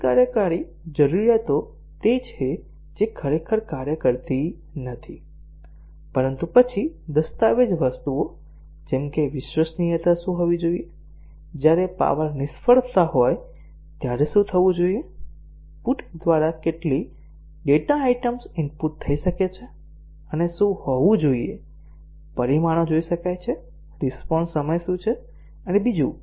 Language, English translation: Gujarati, The non functional requirements are those which are not really functions, but then the document items such as what should be the reliability, what should happen when there is a power failure, what should be the through put how many data items can be input and results can be observed, what is the response time and so on